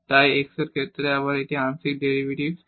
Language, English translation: Bengali, So, these are the first order partial derivatives